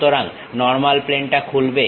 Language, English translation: Bengali, So, normal plane opens up